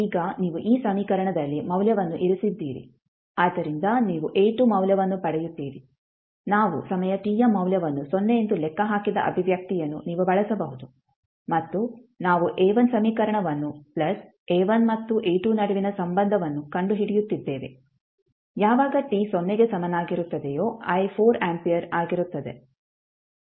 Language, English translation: Kannada, Now you put the value in this equation so you get the value of A2 you can use the expression which we calculated when we were putting the value of time t is equal to 0 and we were finding out the equation A1 plus relation if between A1 and A2 when i is at time t is equal to 0 equal to 4 ampere